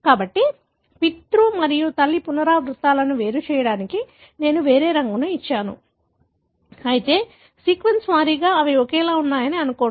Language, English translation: Telugu, So, just to distinguish the paternal and maternal repeats, so I have given a different colour, but nonetheless, assume that sequence wise they are identical